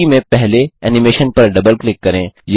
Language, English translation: Hindi, Double click on the first animation in the list